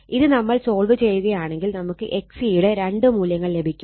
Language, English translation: Malayalam, If we solve it, right you will get two values of X C one is so X C is equal to 8